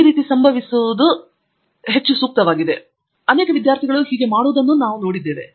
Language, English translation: Kannada, This is the more mundane way in which it happens, but I have seen many students do this